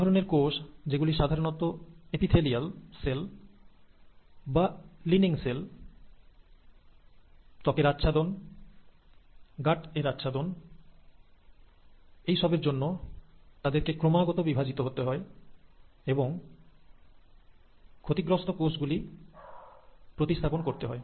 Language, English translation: Bengali, Now these kind of cells, which are usually the epithelial cells, the lining cells, the lining of the skin, the lining of the gut, they have to keep on dividing and replenishing the lost cells